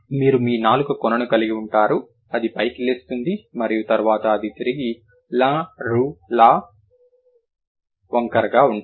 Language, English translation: Telugu, You have your tip of the tongue, it gets raised and then it is curled back